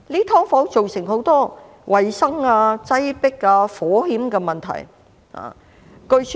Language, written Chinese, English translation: Cantonese, "劏房"造成很多衞生、擠迫和火險的問題。, Subdivided units have caused many problems of hygiene overcrowdedness and fire hazards